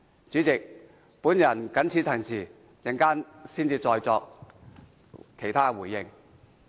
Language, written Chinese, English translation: Cantonese, 主席，我謹此陳辭，稍後再作其他回應。, President I so submit and will respond again later